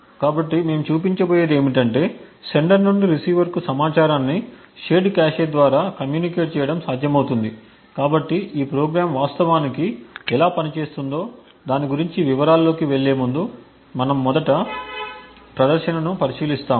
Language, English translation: Telugu, So, what we will show is that it is possible to actually communicate information from the sender through the receiver through the shared cache, so before going into details about how this program is actually working we will just look at the demonstration first